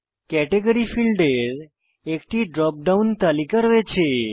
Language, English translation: Bengali, Category field has a drop down list